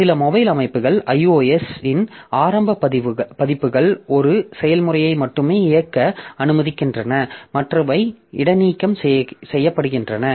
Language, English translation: Tamil, So some some mobile systems for example the early versions of iOS allow only one process to run and others are suspended